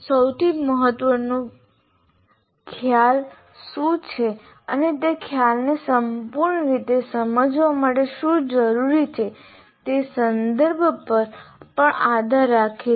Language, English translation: Gujarati, There is also in the context what is the most important concept and what is required to fully understand that concept that depends on the context